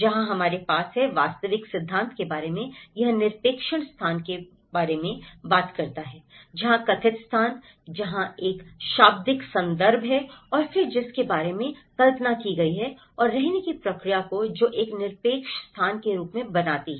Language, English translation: Hindi, Where, we have the actual theory about he talks about the absolute space which is where, the perceived space, where there is a vernacular context and then which is followed up with the conceived and the living processes which makes as an absolute space